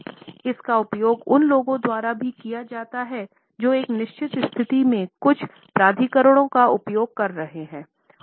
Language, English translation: Hindi, It is also used by those people who are wielding certain authority in a given position